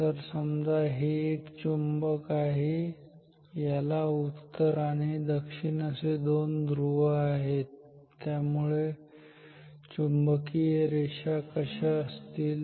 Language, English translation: Marathi, So, if this is a magnet like with two poles north and south ok, so flux lines are like this